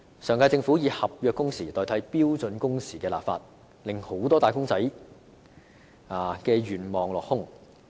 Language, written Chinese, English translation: Cantonese, 上屆政府以合約工時代替標準工時立法，令很多"打工仔"的願望落空。, That the last - term Government replaced legislation on standard working hours by contractual working hours has dashed the hope of many wage earners